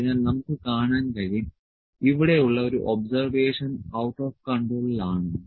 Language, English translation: Malayalam, So, we can see that one of the observation here is out of control